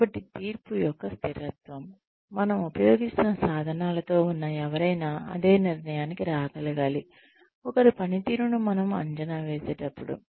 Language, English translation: Telugu, So, consistency of judgement, anyone with the tools, that we are using, should be able to arrive at the same conclusion, that we did, while appraising somebody's performance